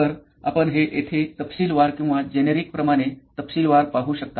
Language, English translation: Marathi, So, you can do this as detailed as this or as generic as this you can see it here